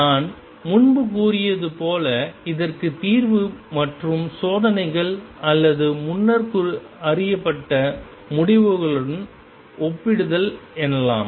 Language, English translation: Tamil, As I said earlier is the solution of this and comparison with the experiments or earlier known results